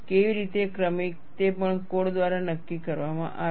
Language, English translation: Gujarati, How gradual, that is also dictated by the code